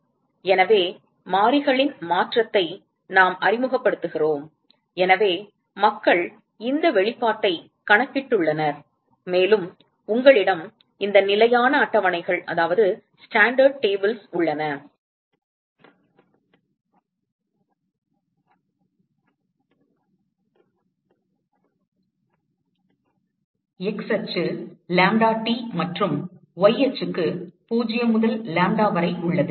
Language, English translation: Tamil, So, we just introduce a change of variables so, people have calculated this expression and you have these standard tables with x axis having lambdaT and the y axis having 0 to lambda